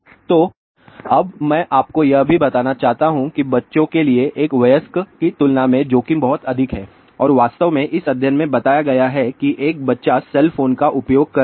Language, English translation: Hindi, So, now, I just also want to tell you that a risk to the children is much more compared to an adult and in fact, ah this study has been reported where ah let us say a child is using cell phone